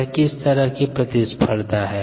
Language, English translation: Hindi, what kind of a competition is it is